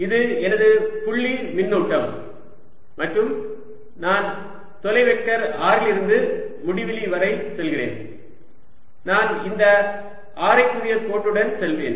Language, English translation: Tamil, so now let me make a picture this is my point charge and i am going from a distance vector r all the way upto infinity and i'll go along this radial line